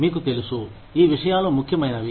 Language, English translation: Telugu, You know, these things are important